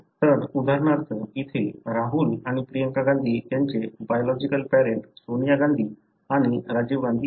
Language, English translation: Marathi, So, for example here, the biological father for Rahul and Priyanka Gandhi are Sonia Gandhi and Rajiv Gandhi